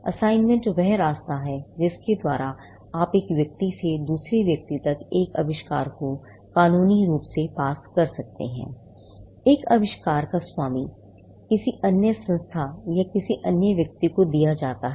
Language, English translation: Hindi, Now, assignment is the ray by which you can legally pass on an invention from one person to another; the ownership of an invention is passed on to another entity or another person